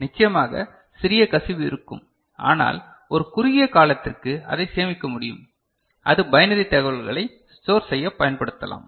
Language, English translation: Tamil, Of course, there will be small leakage; but for a short time it can be stored and that can be used for storing binary information, ok